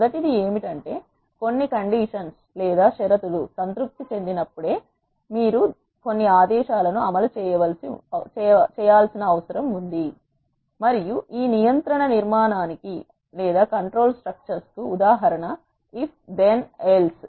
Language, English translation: Telugu, The first one is where you need to execute certain commands only when certain conditions are satisfied and example of this control structure is if then else type of constructs